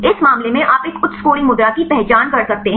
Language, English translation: Hindi, In this case you can identify a high scoring pose